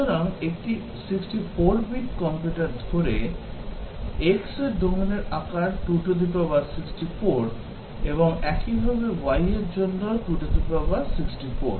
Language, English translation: Bengali, So, the domain size for x, assuming a 64 bit computer, is 2 to the power 64; and similarly, for y is 2 to the power 64